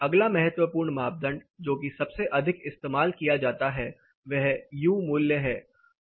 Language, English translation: Hindi, The next important parameter of the most commonly used parameter term is the U value